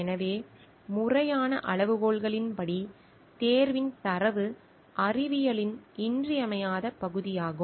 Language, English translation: Tamil, So, as per the legitimate criteria, data of selection is an indispensable part of science